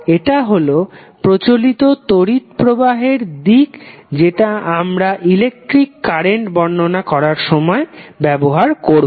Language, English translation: Bengali, So, that is the convention we follow when we define the electric current